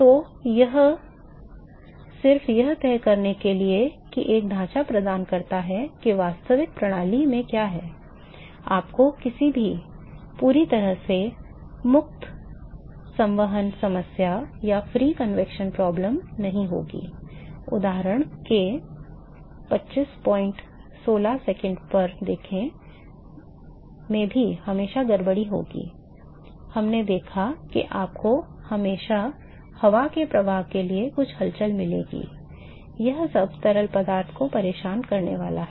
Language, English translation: Hindi, So, it just provides a framework to decide what there is in a real system you never going to have a completely free convection problem, there will always be some disturbance even in the of example we saw there will always be some disturbances you going to have air flow you are going to have a fan so, all that is going to disturb the fluid